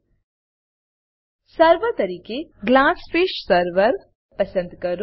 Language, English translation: Gujarati, Select GlassFish server as the Server